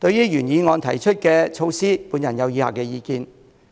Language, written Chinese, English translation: Cantonese, 就原議案提出的措施，我有以下的意見。, In regard to measures proposed in the original motion my views are as follows